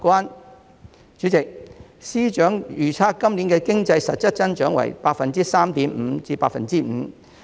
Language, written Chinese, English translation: Cantonese, 代理主席，司長預測今年的經濟實質增長為 3.5% 至 5%。, Deputy President FS forecasts that the actual economic growth may reach 3.5 % to 5 % this year